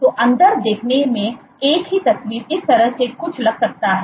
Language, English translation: Hindi, So, inside view the same picture might look something like this